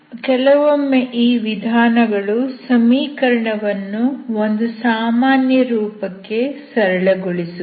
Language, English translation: Kannada, This method works on reducing the equation to a standard form or normal form